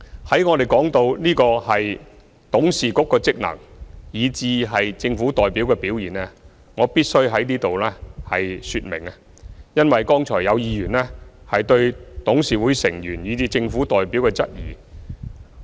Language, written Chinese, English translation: Cantonese, 談到董事局的職能以至政府代表的表現，我必須在此作出說明，因為剛才有議員質疑董事局成員以至政府代表。, Concerning the functions of the board of directors and the performance the Government representatives here I must make a clarification as some Members raised questions about the membership of the board of directors and the Government representatives just now